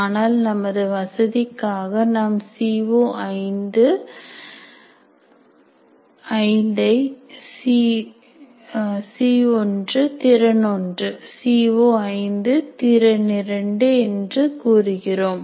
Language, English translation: Tamil, But for our convenience, we say C O 5, C1, competency 1, C O 5 competency 2